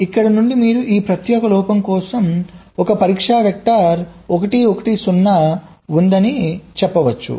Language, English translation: Telugu, so from here you can say that for this particular fault there is a single test vector, one, one zero